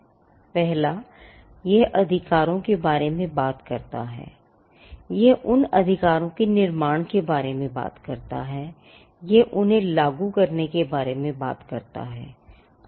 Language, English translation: Hindi, One it talks about the rights, it talks about the creation of those rights, and it also talks about enforcement